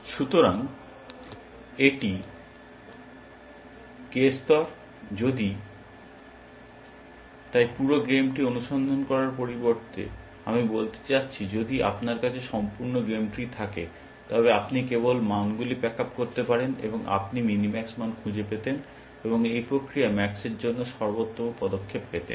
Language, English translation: Bengali, So, this is k ply, if the So, instead of searching the entire game tree, I mean if you have the complete game tree, then you could have just pack up the values, and you would have found the minimax value, and the best move for max in the process